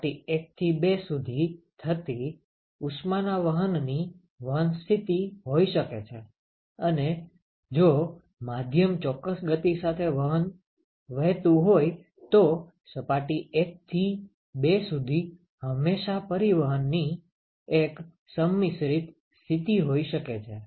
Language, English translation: Gujarati, There could be conduction mode of heat transport from surface 1 to 2, and if the media is flowing with a certain velocity there could always be a convective mode of heat transport from surface 1 to 2